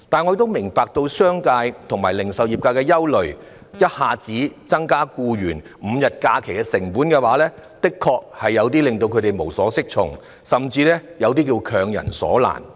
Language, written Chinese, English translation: Cantonese, 我亦明白商界和零售業界的憂慮，要一下子應付額外給予僱員5天假期所帶來的成本，確會令他們無所適從，甚至是強人所難。, I also appreciate the concerns of the business sector and the retail industry because the additional costs arising from the provision of five more holidays to employees in one go will certainly leave them at a loss as to what to do and is indeed a difficult task imposed on them